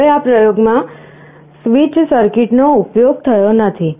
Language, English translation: Gujarati, Now the switch circuit is not used in this experiment